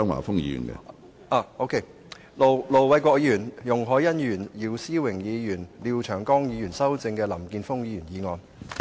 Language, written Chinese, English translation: Cantonese, 進一步修正經盧偉國議員、容海恩議員、姚思榮議員及廖長江議員修正的林健鋒議員議案。, President I move that Mr Jeffrey LAMs motion as amended by Ir Dr LO Wai - kwok Mr Christopher CHEUNG Ms YUNG Hoi - yan